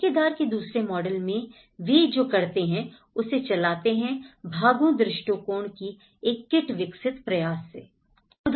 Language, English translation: Hindi, In the second model of the contractor driven what they do is they try to develop a kit of parts approach